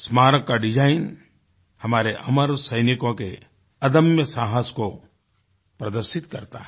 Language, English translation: Hindi, The Memorial's design symbolises the indomitable courage of our immortal soldiers